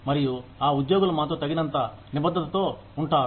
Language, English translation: Telugu, And, that employees stay committed enough, to stay with us